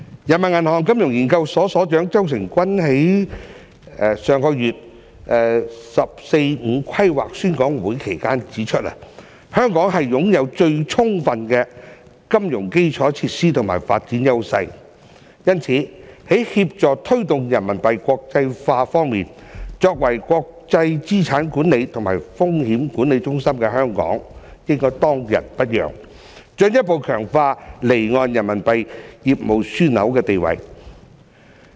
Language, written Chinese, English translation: Cantonese, 人民銀行金融研究所所長周誠君在上月"十四五"規劃宣講會期間指出，香港擁有最充分的金融基礎設施與發展優勢，因此在協助推動人民幣國際化方面，作為國際資產管理和風險管理中心的香港應當仁不讓，進一步強化離岸人民幣業務樞紐的地位。, ZHOU Chengjun Director of the Financial Research Institute of the Peoples Bank of China pointed out during the 14th Five - Year Plan seminar last month that Hong Kong has the most adequate financial infrastructure and development advantages . As such Hong Kong as an international asset management and risk management centre should take the promotion of the internationalization of Renminbi as its obligation and further strengthen its position as an offshore Renminbi business hub